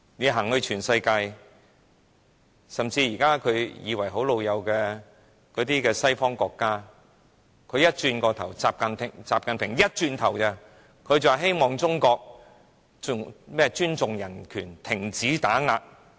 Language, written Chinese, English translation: Cantonese, 習近平曾出訪世界多國，包括一些看來與中國很友好的西方國家；當習近平一離開，這些國家便表示希望中國尊重人權，停止打壓異見人士。, XI Jinping has visited many countries in the world including some Western countries that seem to be on friendly terms with China; but as soon as XI Jinping left these countries declared their hope that China would respect human rights and stop oppressing dissidents